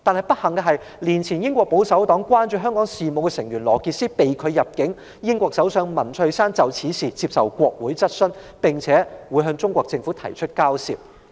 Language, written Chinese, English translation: Cantonese, 不幸的是，一年前英國保守黨關注香港事務的成員羅傑斯被拒入境，英國首相文翠珊就此事接受國會質詢，並向中國政府提出交涉。, Unfortunately Benedict ROGERS a member of the British Conservative Party who was concerned about Hong Kong affairs was refused entry a year ago . British Prime Minister Theresa MAY was hence questioned by the Parliament on the matter and she had taken up the matter with the Chinese Government